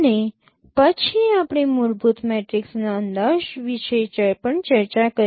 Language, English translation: Gujarati, And then we discussed also estimation of fundamental matrix